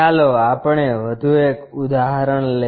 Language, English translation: Gujarati, Let us take one more example